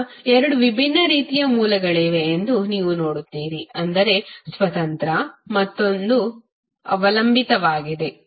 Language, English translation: Kannada, Now, you will see there are two different kinds of sources is independent another is dependent